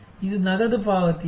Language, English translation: Kannada, Is it cash payment